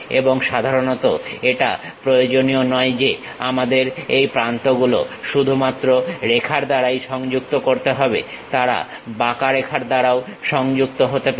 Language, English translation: Bengali, And, usually it is not necessary that we have to connect these vertices only by lines, they can be connected by curves also